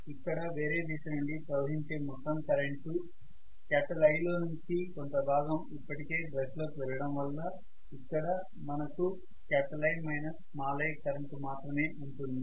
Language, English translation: Telugu, Because this is the total current I which is flowing from the other direction and part of it has already gone into the brush because of which I am going to have a current here which is I minus i, right